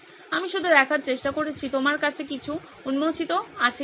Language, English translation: Bengali, I am just trying to see if you have anything uncovered